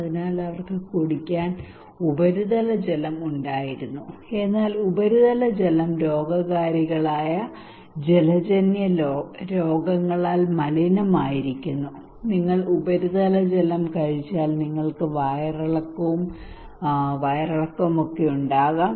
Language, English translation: Malayalam, So they used to have surface water for drinking, but surface water was contaminated by pathogens waterborne disease like if you are consuming surface water you can get diarrhoea, dysentery